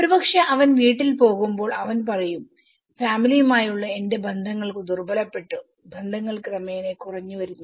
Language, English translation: Malayalam, Maybe when he goes house he says that you know, my bonds got weakened the family network and bonds gradually got diminished